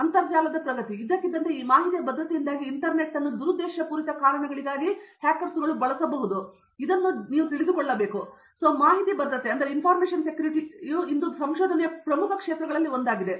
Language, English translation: Kannada, This information security suddenly with boom of internet and suddenly people realizing that internet can be used for malicious reasons also, information security is growing up as one of the major areas of research today